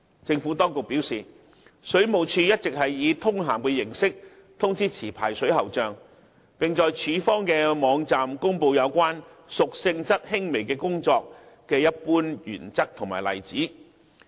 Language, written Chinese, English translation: Cantonese, 政府當局表示，水務署一直是以通函的形式通知持牌水喉匠，並在署方的網站公布有關"屬性質輕微的工作"的一般原則及例子。, The Administration advised that the Water Supplies Department WSD had been promulgating the general principles and examples for works of a minor nature via circular letters for licensed plumbers and publications on its official website